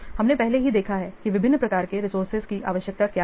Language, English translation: Hindi, We have already seen what are the different types of resources required